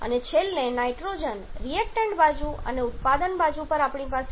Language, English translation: Gujarati, And finally nitrogen on the reactant side we have 3